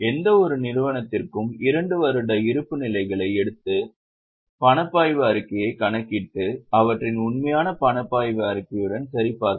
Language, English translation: Tamil, Take two years balance sheet for any company, calculate the cash flow statement and check it with their actual cash flow statement